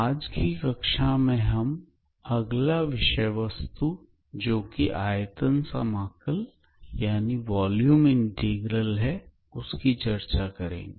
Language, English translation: Hindi, Now in today's class we will cover our next topic which is basically Volume Integral